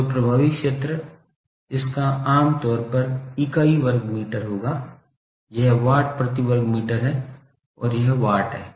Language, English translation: Hindi, So, effective area its generally it will be unit is metre square, this is watts per metre square and this is watts